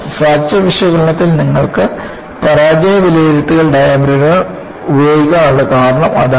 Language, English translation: Malayalam, And, that is the reason, why you have failure assessment diagrams are used in fracture analysis